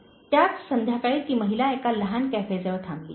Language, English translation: Marathi, ” At the same evening, the lady stopped by a small cafe